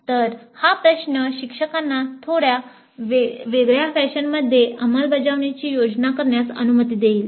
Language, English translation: Marathi, So, this question would allow the instructor to plan implementation in a slightly different fashion